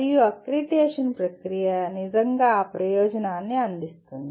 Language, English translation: Telugu, And the process of accreditation really serves that purpose